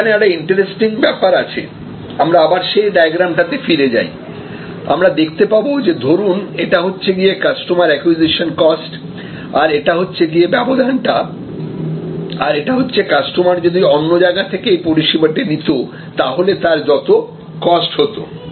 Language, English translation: Bengali, This is something interesting again, we can go back to that same diagram and you can see that, if this is the acquisition cost of the customer and the customer might have been, if this is the difference, this is the customer, what the customer would have paid otherwise